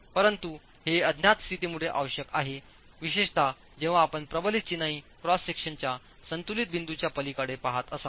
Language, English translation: Marathi, But this is necessitated because of the unknown condition particularly when you're looking at beyond the balance point of the reinforced masonry cross section itself